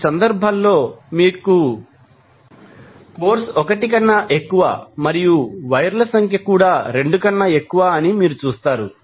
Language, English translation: Telugu, So, in these cases you will see that the courses are more than 1 and number of wires are also more than 2 to connect to the load